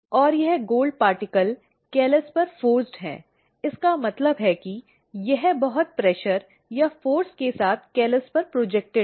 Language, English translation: Hindi, And, this gold particle is forced on to the callus; it means that it is projected onto the callus with lots of pressure or a force